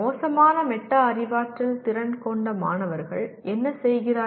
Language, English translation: Tamil, And what do the students with poor metacognitive skills do